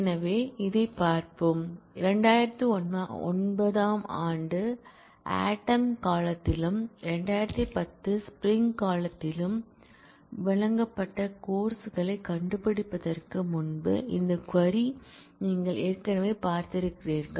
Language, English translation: Tamil, So, let us look at this; you have already seen this query before find courses offered in fall 2009, and in fall in spring 2010